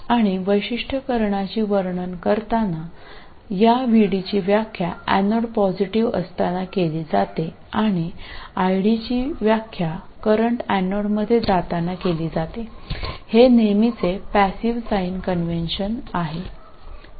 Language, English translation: Marathi, And while describing the characteristics, this VD is defined with the anode being positive and ID is defined with the current going into the anode